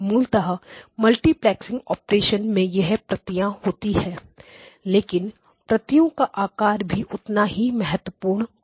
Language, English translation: Hindi, Basically the multiplexing operation does keep the copies, but the shape of the copies is equally important